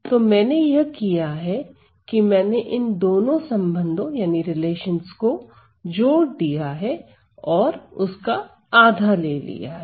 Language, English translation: Hindi, So, all I have done is I have added these two relations and taken a half because they are both equal